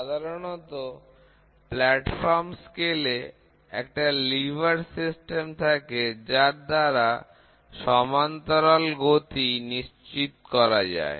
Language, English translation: Bengali, Traditionally, platforms scales have a lever system ensuring parallel motions